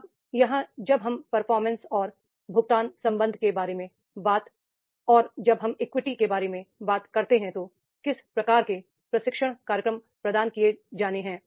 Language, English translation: Hindi, Now here when we talk about the performance and pay relationship, right, and when we talk about the equity, then what type of the training programs are to be provided